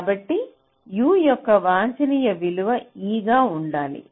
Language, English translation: Telugu, so u, the optimum value of u, should be e